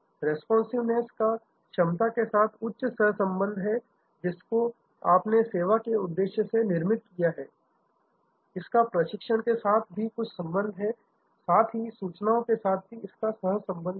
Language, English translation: Hindi, A responsiveness has a high correlation with capacity that you have created for the service, it has some correlation with training, it has some correlation with information